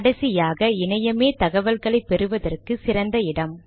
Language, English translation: Tamil, Finally web search could be the best source of information